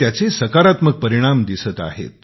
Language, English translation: Marathi, And the positive results are now being seen